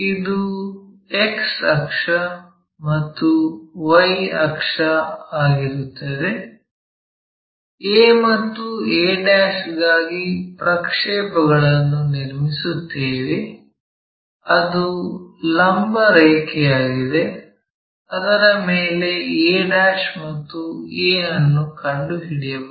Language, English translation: Kannada, X axis and Y axis, draw a projector for a and a ' that is a vertical line, on which we can locate a ' and a